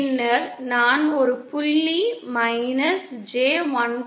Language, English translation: Tamil, Then I chose a point minus J 1